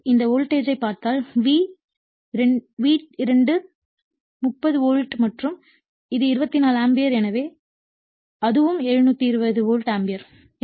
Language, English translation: Tamil, So, if you see this voltage is your V2 is 30 volt and this is 24 ampere so, that is also 720 volt ampere right